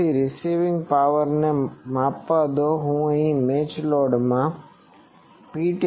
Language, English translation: Gujarati, So, measure the received power let me call it P test into a matched load